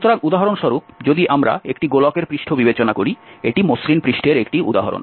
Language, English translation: Bengali, So, for example, if we consider the surface of a sphere, so this is an example of smooth surface